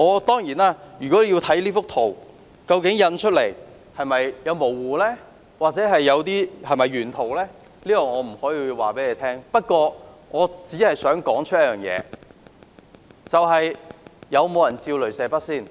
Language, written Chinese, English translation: Cantonese, 當然，單看這幅圖，印出來後會否有點模糊，或究竟這是否原圖，我答不上，但我只想提出一點，究竟有沒有人拿雷射筆照射？, Of course by looking at this picture I cannot say whether it appears blurry in print or whether it is the original copy . I only wish to point out Did anyone wave a laser pointer?